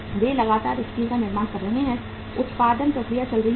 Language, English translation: Hindi, They are manufacturing steel continuously, the production process is going on